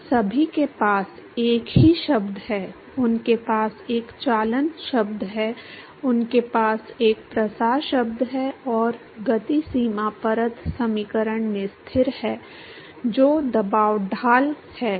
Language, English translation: Hindi, They all have same terms they have a conduction term, they have a diffusion term plus the momentum boundary layer equation has a constant which is the pressure gradient